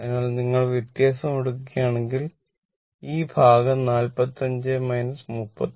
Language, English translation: Malayalam, So, then and if you take the difference , then this portion will be 45 minus 39